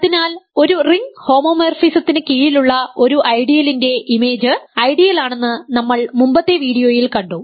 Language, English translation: Malayalam, So, we have seen in an earlier video that image of an ideal under a ring homomorphism is an ideal